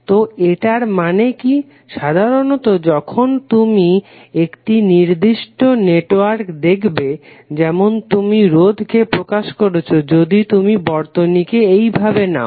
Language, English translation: Bengali, So what does it mean, some generally when you see a particular network like if you represent here there is a resistor, if you take the circuit like this